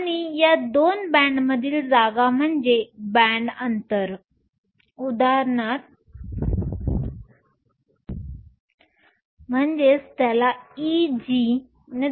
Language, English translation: Marathi, And the space between these two bands is your band gap E g